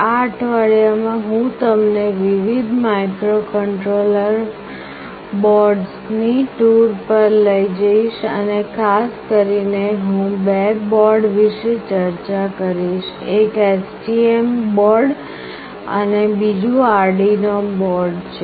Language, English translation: Gujarati, In this week I will take you to a tour of various Microcontroller Boards and specifically I will be discussing about two boards; one is STM board and another is Arduino board